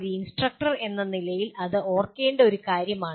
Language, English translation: Malayalam, That is one thing as an instructor one has to remember that